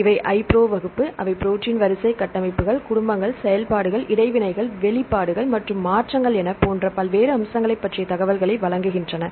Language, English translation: Tamil, Then how to use this database; so the iPro class, they provide a various order of information on various aspects like protein sequence, protein structures, families, functions, interactions, expressions, as well the modifications, right